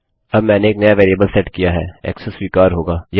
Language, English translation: Hindi, Now Ive set a new variable, access to be allowed